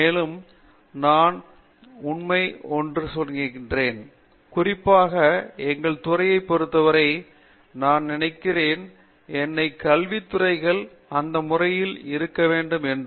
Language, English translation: Tamil, And, I think that is true, while is true for our department in particular, I think all of I mean all academic departments should be in that mode